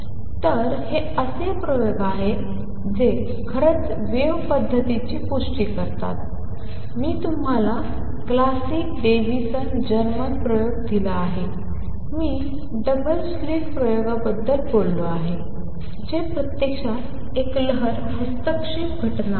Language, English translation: Marathi, So, these are the experiments that actually confirm the wave nature I have given you the classic Davisson Germer experiment, I have talked about double slit experiment that is actually a wave interference phenomena